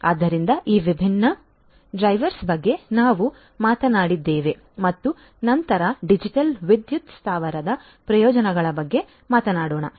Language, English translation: Kannada, So, these are these different drivers that we talked about and then let us talk about the benefits of the digital power plant